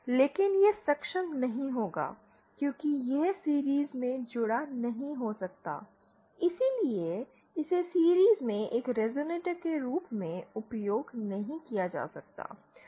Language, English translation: Hindi, But it will not be able to but since it cannot be connected in series, hence it cannot be used as a resonator in series